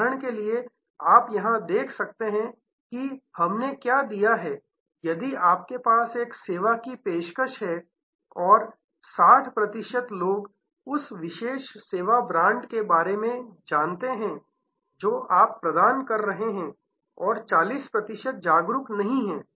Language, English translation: Hindi, For example, you can see here we have given, that if you have a service offering and 60 percent people are aware of that particular service brand that you are offering and 40 percent are not aware